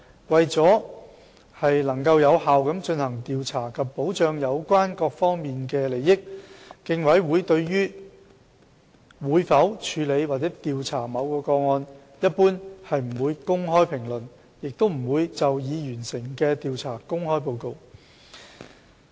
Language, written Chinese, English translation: Cantonese, 為了能有效地進行調查及保障有關各方的利益，競委會對於會否處理或調查某宗個案，一般不會公開評論，也不會就已完成的調查公開報告。, For the purpose of effective investigation and protection of the interests of parties involved the Commission in general will not comment openly on whether or not it will process or investigate certain cases and it will not publish its reports upon the completion of an investigation